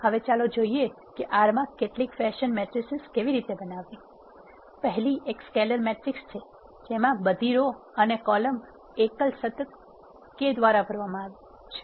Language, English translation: Gujarati, Now, let us see how to create some fashion matrices in R the first one is scalar matrix which contains all the rows and columns that are filled by single constant k